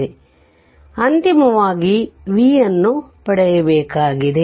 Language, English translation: Kannada, So, we have to final you have to get the v